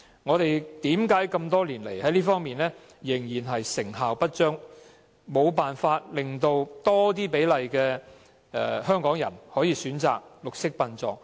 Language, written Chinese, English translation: Cantonese, 為何多年來這方面的工作仍然成效不彰，無法令更多比例的香港人可以選擇綠色殯葬？, Why has the work in this regard failed to effectively enable a higher percentage of Hong Kong people to choose green burial over the years?